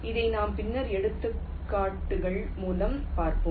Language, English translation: Tamil, this we shall see later through examples